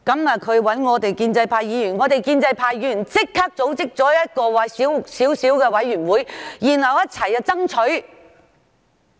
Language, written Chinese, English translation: Cantonese, 他找建制派議員幫忙，我們立即組織了一個規模細小的委員會，一起為這件事爭取。, He sought the help of Members of the pro - establishment camp . We immediately organized a small committee to fight for this matter